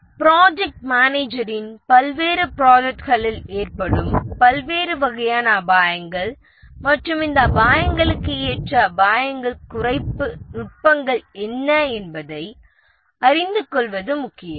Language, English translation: Tamil, It is important for the project manager to know the different types of risks that fall on various projects and what are the possible reduction techniques that are suitable for these risks